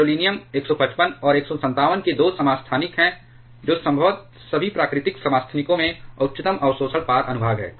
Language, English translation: Hindi, Gadoliniums 155 and 157's are 2 isotopes which probably has the highest absorption cross section among all natural isotopes